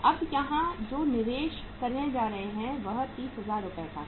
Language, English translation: Hindi, That is 30,000 rupees worth of investment we are going to make here